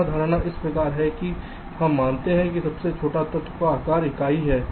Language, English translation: Hindi, here the assumption is like this: we assume that the smallest element has unit size